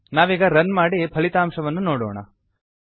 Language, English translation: Kannada, Let us Run and see the output